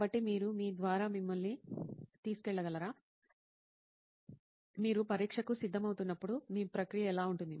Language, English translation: Telugu, So can you just take us through your, how your process would be when you are preparing for an exam